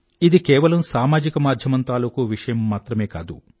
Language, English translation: Telugu, This is not only an issue of social media